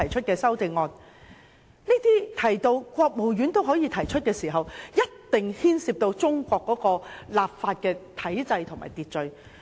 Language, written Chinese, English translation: Cantonese, 當提到可由國務院提出時，一定牽涉到中國的法律體制和秩序。, In mentioning that bills for amendment may be proposed by the State Council it definitely involves the legal system and constitutional order of China